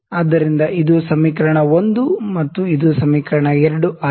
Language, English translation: Kannada, So, this is equation 1 and this is equation 2